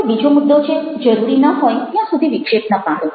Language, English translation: Gujarati, the second point is that dont interrupt unless needed